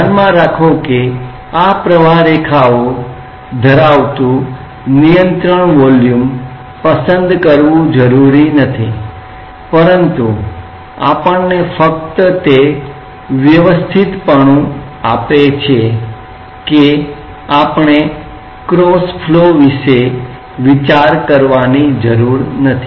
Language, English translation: Gujarati, Keep in mind that these it is not necessary to choose a control volume which contain streamlines, but only elegance it gives to us is that we do not have to bother about the cross flows